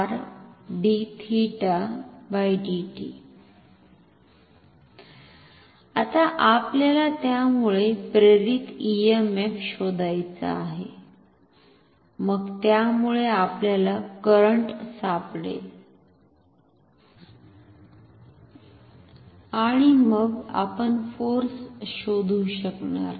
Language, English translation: Marathi, Now, we have to find out the induced EMF due to this, then we can find the current due to that and then we can find the force